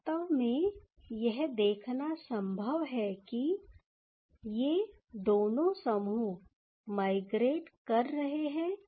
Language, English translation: Hindi, So, it is actually possible to see that these two groups actually migrating